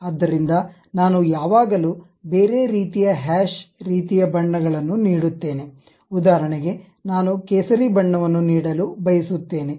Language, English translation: Kannada, So, I can always give some other kind of hashed kind of colors for example, I would like to give saffron